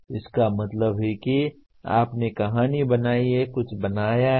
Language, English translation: Hindi, That means you have created a story, created something